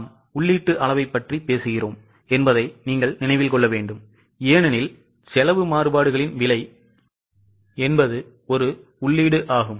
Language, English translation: Tamil, Keep in mind that we are talking about input quantities because we are calculating cost variances